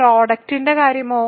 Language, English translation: Malayalam, What about the product ok